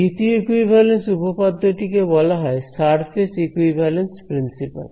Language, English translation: Bengali, The second equivalence theorem is called the surface equivalence principle ok